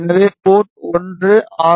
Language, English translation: Tamil, So, this is port 1 port 2